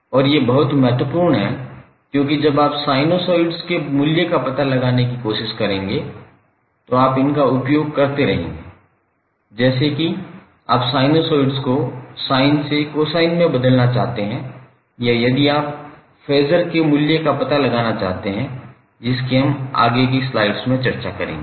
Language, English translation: Hindi, And these are very important because you will keep on using them when you try to find out the value of sinusoid like if you want to change sinusoid from sine to cosine or if you want to find out the value of phases which we will discuss in next few slides